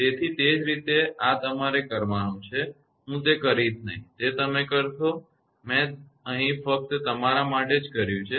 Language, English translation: Gujarati, So, similarly this is you will do it, I will not do it for you will do it, I have done it for you here only